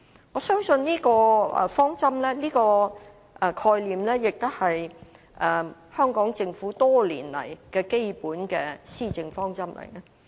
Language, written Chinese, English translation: Cantonese, 我相信這個概念亦是香港政府多年來的基本施政方針。, I believe this concept ties in with the basic policy objective of the Hong Kong Government over the years